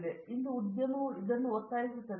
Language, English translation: Kannada, So, therefore, the industry today insists on this